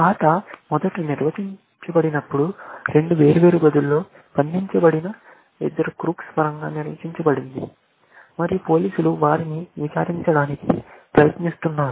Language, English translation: Telugu, When the game was originally defined, it was defined in terms of two crooks, who were locked up in two different rooms, and the police were trying to interrogate them